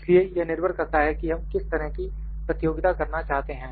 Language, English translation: Hindi, So, it depends upon what type of competition we need to do